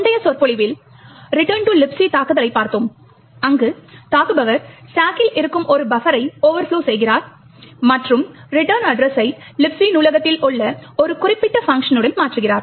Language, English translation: Tamil, In the earlier lecture we had looked at Return to Libc attack where the attacker overflows a buffer present in the stack and replaces the return address with one specific function in the Libc library